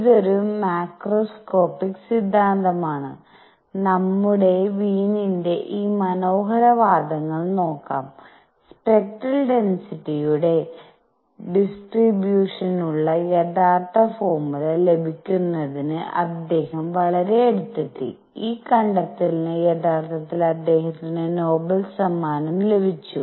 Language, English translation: Malayalam, It is a macroscopic theory and let us look at these beautiful arguments by Wien and he came very very close to obtaining the true formula for the distribution of spectral density and he was actually awarded Nobel Prize for this discovery